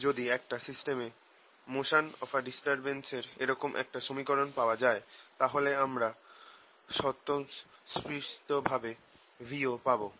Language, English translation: Bengali, if i can get for the motion of a disturbance in a system an equation like that, then i automatically get v also latest